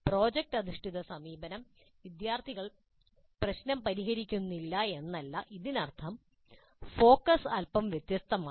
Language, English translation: Malayalam, This is not to say that in project based approach the students are not solving the problem but the focus is slightly different